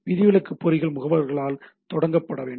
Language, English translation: Tamil, Exception traps are initiated by agents